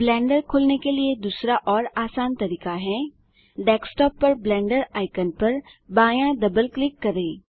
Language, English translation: Hindi, The second and easier way to open Blender is Left double click the Blender icon on the desktop